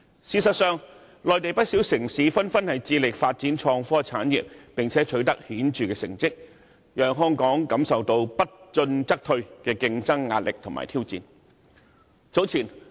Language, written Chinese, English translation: Cantonese, 事實上，內地不少城市紛紛致力發展創科產業，而且成績顯著，令香港面對不進則退的競爭壓力及挑戰。, In fact many Mainland cities have made strenuous efforts to develop their IT industries and they have achieved very remarkable results . Hong Kong has thus come under immense pressure and severe challenges as stagnation will mean regression